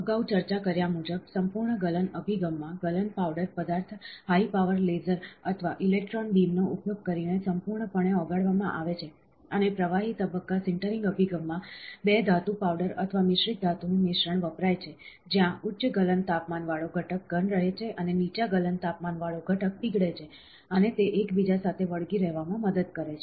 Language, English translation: Gujarati, As discussed previously, in the full melting approach, a melting powder material is fully melt using high power laser or electron beam, and in liquid phase sintering approach, a mixture of 2 metal powders or metal alloy is used, where a higher melting temperature constituent remains solid and the lower melting, that is what I said, lower melting constituent melts and it helps in sticking with each other